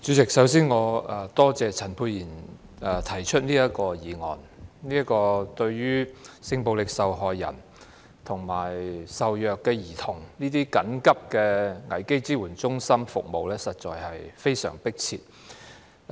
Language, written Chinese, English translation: Cantonese, 代理主席，首先，我感謝陳沛然議員提出這項議案，性暴力受害人及受虐兒童危機支援中心所提供的服務實在非常迫切。, Deputy President first of all I thank Dr Pierre CHAN for moving this motion as the services provided by crisis support centres for sexual violence victims and abused children are badly needed